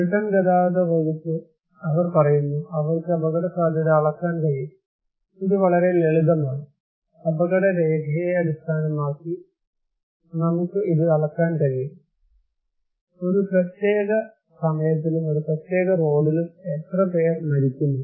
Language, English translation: Malayalam, Now, Britain Department of Transport, they are saying that yes we can measure the risk, it is very simple, we can measure it based on casualty record, how many people are dying in a particular time and a particular road